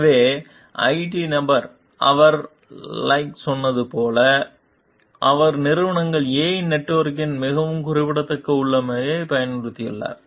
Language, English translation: Tamil, So, the IT person, like he told like, he has used a very specific configuration of companies A s network